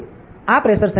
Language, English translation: Gujarati, So, this is about the pressure sensor